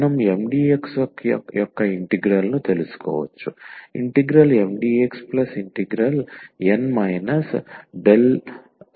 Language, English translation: Telugu, So, we can find out the integral of Mdx